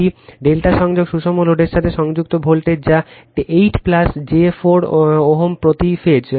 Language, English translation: Bengali, Voltage connected to a delta connected balanced load that is 8 plus j 4 ohm right per phase